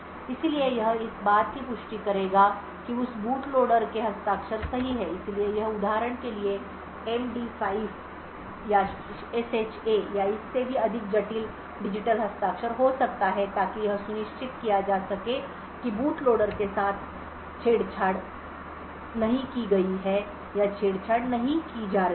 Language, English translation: Hindi, So it would do this verifying that the signature of that boot loader is correct so this could be for example an MD5 or SHA or even more complicated digital signatures to unsure that the boot loader has not been manipulated or not being tampered with